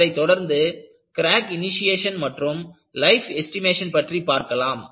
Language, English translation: Tamil, This is followed by Crack Initiation and Life Estimation